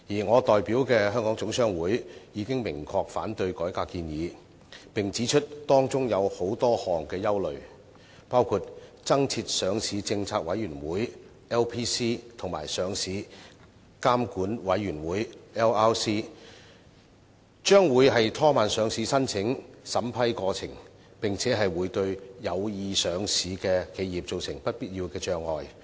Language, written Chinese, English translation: Cantonese, 我代表的香港總商會已明確反對改革建議，並指出當中有多項憂慮，包括增設上市政策委員會及上市監管委員會將會拖慢上市申請審批過程，並會對有意上市的企業造成不必要的障礙。, The Hong Kong General Chamber of Commerce HKGCC that I represent has expressed clear opposition to the reform proposal and pointed out its concerns including the worry that establishment of the new Listing Policy Committee LPC and Listing Regulatory Committee LRC will slow down the approval process of listing applications and create unnecessary hurdles for corporations which intend to get listed